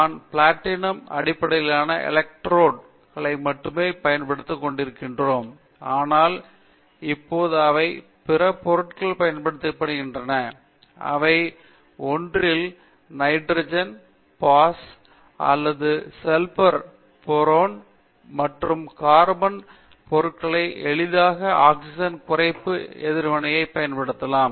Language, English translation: Tamil, Up to now we have been using only platinum based electrodes, but now we can use many other materials one of them is hetero atom nitrogen pass plus sulphur boron substituted carbon materials can be easily used for the oxygen reduction reaction